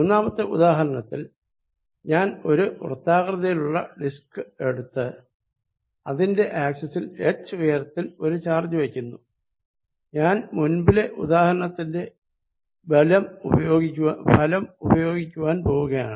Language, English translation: Malayalam, In example number 3, I am going to take this disc and put a charge at height h on the axis, I am going to use the result of previous example